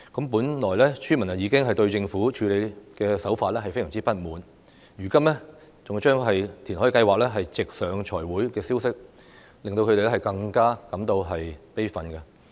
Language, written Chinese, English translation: Cantonese, 本來村民已經對政府的處理手法非常不滿，如今更將填海計劃直上財委會，這消息令他們更加感到悲憤。, The villagers were already very dissatisfied with the handling of the Government and the news that the funding proposal for the reclamation project will be submitted to the Finance Committee directly has further infuriated them